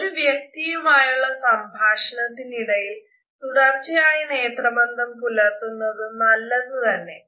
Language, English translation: Malayalam, During our conversation it is important that we maintain continuously a direct eye contact